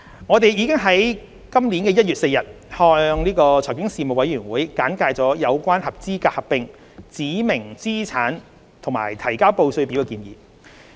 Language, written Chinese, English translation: Cantonese, 我們已在今年1月4日向財經事務委員會簡介有關合資格合併、指明資產和提交報稅表的建議。, We have briefed the Legislative Council Panel on Financial Affairs on the proposals concerning qualifying amalgamations specified assets and furnishing of returns on 4 January this year